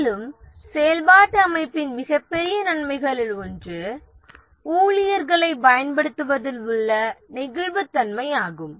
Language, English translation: Tamil, And one of the biggest advantage of the functional organization is the flexibility in use of the staff